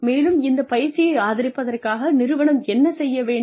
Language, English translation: Tamil, And, what the organization can do, in order to support this training